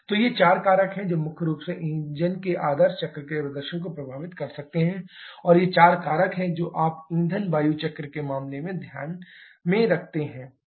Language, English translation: Hindi, So these are the four factors that can primarily affect the performance of engines ideal cycles, and these are the four factors that you take into account in case of fuel air cycles